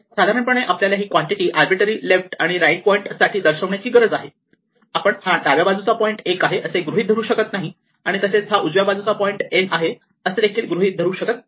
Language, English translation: Marathi, In general, we need to express this quantity for arbitrary left and right point, we cannot assume that the left hand point is 1; we cannot assume the right hand point is n right